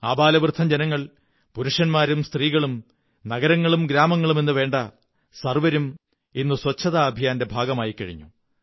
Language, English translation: Malayalam, The old or the young, men or women, city or village everyone has become a part of this Cleanliness campaign now